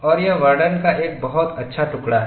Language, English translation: Hindi, And this is a very nice piece of a representation